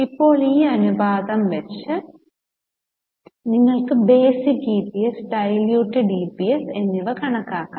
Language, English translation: Malayalam, So, based on this ratio you can calculate the basic EPS and diluted APS